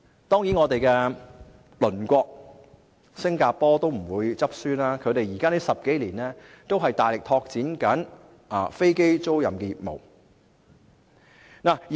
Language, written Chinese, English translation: Cantonese, 當然，我們的鄰國新加坡也不落後，他們10多年來都大力拓展飛機租賃業務。, Of course our neighbour Singapore is also catching up . They have actively developing their aircraft leasing business in the past 10 - odd years